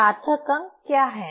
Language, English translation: Hindi, What is significant figures